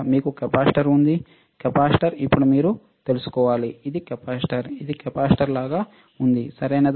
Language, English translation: Telugu, You have capacitor where is capacitor now you guys should know, this is capacitor it looks like capacitor, right